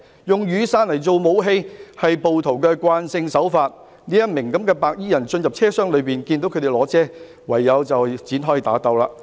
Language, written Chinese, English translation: Cantonese, "——用雨傘作武器是暴徒慣用手法——一名白衣人進入車廂內，看到他們手持雨傘，便唯有與對方展開打鬥。, ―using umbrellas as weapons is a common tactic employed by the rioters―a man in white entered the train compartment and on seeing those people of the other side holding umbrellas in their hands he could only enter into a fight with them